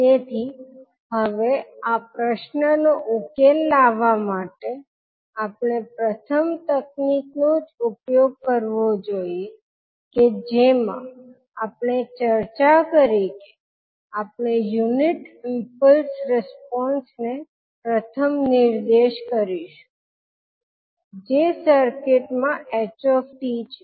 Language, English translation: Gujarati, So now to solve this problem we have to first use the technique which we discuss that we will first point the unit impulse response that is s t of the circuit